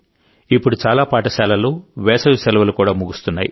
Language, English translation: Telugu, Now summer vacations are about to end in many schools